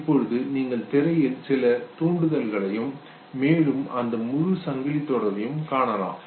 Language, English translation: Tamil, You can see certain stimulus on the screen and see this full chain